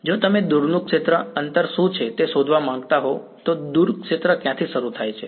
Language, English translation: Gujarati, If you wanted to find out what is the far field distance, where does the far field begin